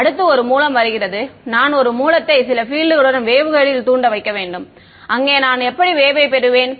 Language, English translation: Tamil, Next comes a source I need to put a source to excite some field in the waveguide how will I get the wave in there